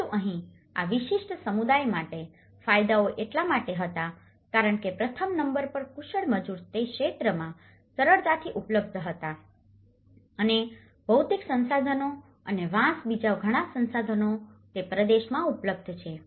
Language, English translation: Gujarati, But here, the benefits for these particular community was because the skilled labour was also easily available in that region number one and the material resources many of the resources bamboo and all, they are also available in that region